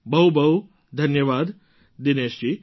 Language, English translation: Gujarati, Many thanks Dinesh ji